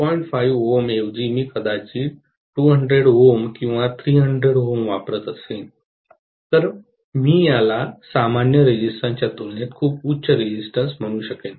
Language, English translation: Marathi, 5 ohm if I use maybe 200 ohms or 300 ohms, I would call that is a very high resistance compared to the nominal resistance